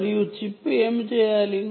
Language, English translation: Telugu, and what is the chip supposed to do